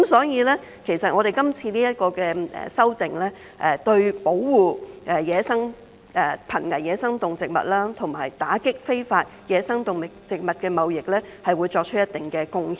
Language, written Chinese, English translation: Cantonese, 因此，今次這項修訂，會對保護瀕危野生動植物及打擊非法野生動植物貿易，作出一定貢獻。, Therefore the current amendment will make a contribution to the protection of endangered wildlife and combating of illegal wildlife trade